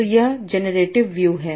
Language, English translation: Hindi, So what is the generative model